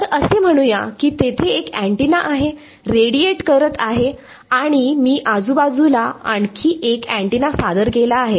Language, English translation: Marathi, So let us say there is one antenna radiating and I have introduced one more antenna in its vicinity ok